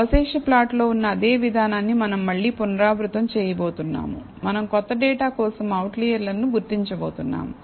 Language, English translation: Telugu, We are going to repeat the same process again that is on the residual plot, we are going to identify the outliers for the new data